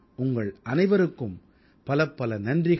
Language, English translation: Tamil, I Thank all of you once again